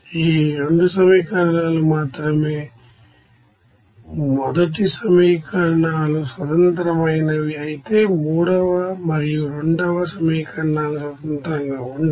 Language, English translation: Telugu, Only these 2 equations first equations are independent whereas the third and second equations are not independent